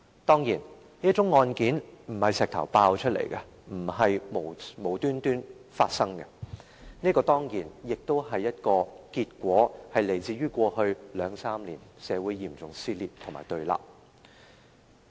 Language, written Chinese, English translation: Cantonese, 當然，這宗案件並非由石頭爆出來，並非無故發生，這個結果當然是來自過去兩三年來社會的嚴重撕裂和對立。, Of course this case did not suddenly emerge from nowhere . It did not happen without a cause . This is certainly the result of serious divisions and confrontations in society over the past few years